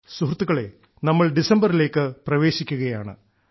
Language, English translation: Malayalam, we are now entering the month of December